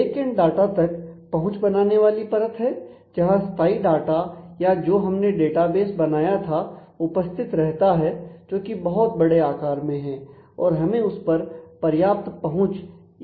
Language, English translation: Hindi, Backend is an actual data access layer or it is where the persistent data the database that we have created exist it is typically large in volume need sufficient access and so, on